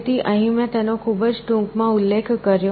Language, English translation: Gujarati, So here I mentioned it very briefly